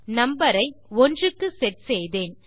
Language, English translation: Tamil, Ive got the number set to 1